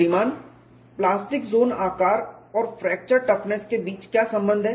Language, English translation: Hindi, Sir what is the relation between plastic zone size and the fracture toughness